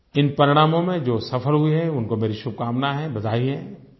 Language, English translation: Hindi, To those who have succeeded in these exams, I extend my congratulations and felicitations